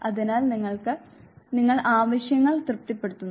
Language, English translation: Malayalam, So, you satisfy the need